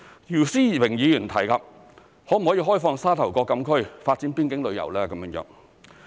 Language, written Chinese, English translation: Cantonese, 姚思榮議員提及可否開放沙頭角禁區發展邊境旅遊。, Mr YIU Si - wing asked whether the closed area of Sha Tau Kok can be opened up to develop boundary tourism